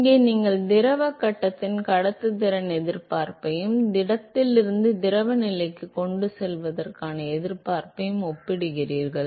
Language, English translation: Tamil, Here you are comparing the resistance of conduction in the fluid phase versus the resistance for transport from the solid to the fluid phase